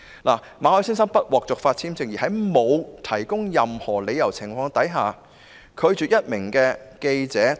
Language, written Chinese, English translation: Cantonese, 就馬凱先生不獲續發簽證一事，當局在未有提供任何理由的情況下拒絕這名記者到港。, Regarding Mr MALLETs visa rejection the authorities have denied the journalists entry to Hong Kong without giving any reason